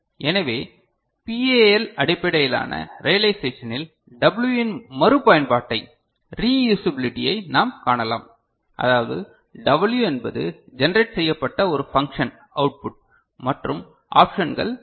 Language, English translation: Tamil, So, in PAL based realization we can see the reusability of the W that is W means a function output that is getting generated and options that are available